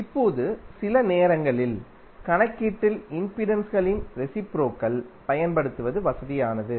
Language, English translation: Tamil, Now sometimes it is convenient to use reciprocal of impedances in calculation